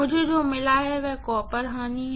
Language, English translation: Hindi, What I have got is rated copper loss